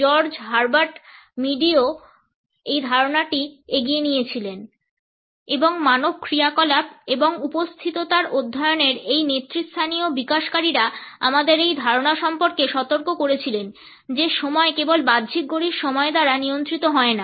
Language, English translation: Bengali, The idea was also carried forward by George Herbert Mead and these leading developers of the study of human acts and presentness alerted us to this idea that the time is not governed only by the external clock time